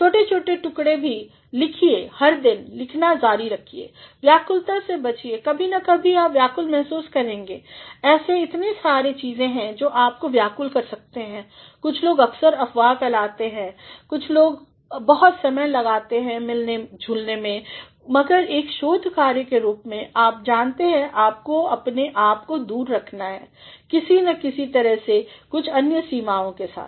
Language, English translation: Hindi, Even small pieces of things write every day, continue to write every day, avoid distractions sometimes or the other you feel distracted there are so many things that keep you distract some people are often BG gossiping some people spend a lot of time in socializing, but as a researcher, you know you have to keep yourself some way or the other some limitations